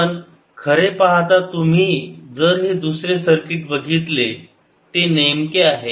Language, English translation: Marathi, but actually, if you see the second circuit, it is preciously this